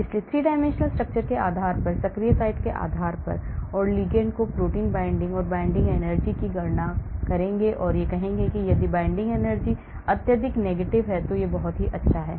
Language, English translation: Hindi, so based on 3 dimensional structure, based on the active site, I will bind the ligand into the protein and calculate the binding energy and I will say if the binding energy is highly negative, then it is very good